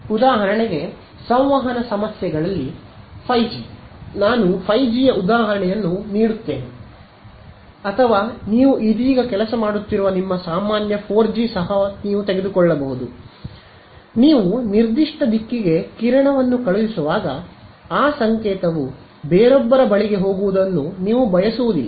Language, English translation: Kannada, So, in communication problems for example, 5G I will give an example of 5G is the best example or even your regular 4G that you are working with right now; when you are sending a beam to a particular direction you do not want that signal to go to someone else